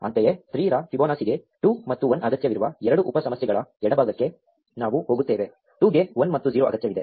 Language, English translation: Kannada, Similarly, we go to the left of the two sub problems Fibonacci of 3 requires 2 and 1; 2 requires 1 and 0